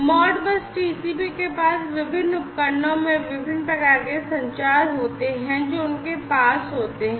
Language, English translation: Hindi, So, ModBus TCP has different, you know, different types of communication, in the different devices that they have